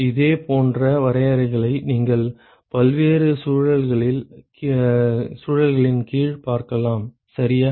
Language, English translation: Tamil, And similar definitions you will see under many different contexts, ok